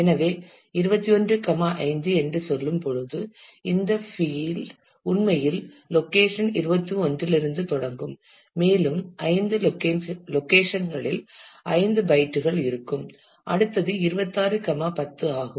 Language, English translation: Tamil, So, when we say twenty one five which we mean that this field will actually start from location 21 and we will have 5 locations 5 bytes, then the next 1 is 26, 10